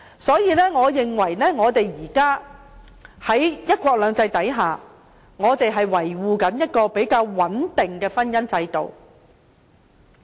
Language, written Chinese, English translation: Cantonese, 所以，我認為現時在"一國兩制"下，我們正在維護一個比較穩定的婚姻制度。, Therefore I think a more stable marriage institution is being upheld under one country two systems